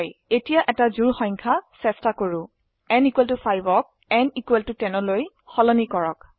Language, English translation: Assamese, Let us try an even number Change n = 5 to n = 10